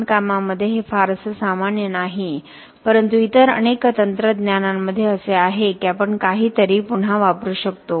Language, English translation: Marathi, in construction this is not very common but in many other technologies it is there that you can reuse something